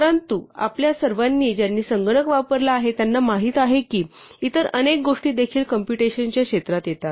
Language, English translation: Marathi, But all of us who have used computers know that many other things also fall within the realm of computation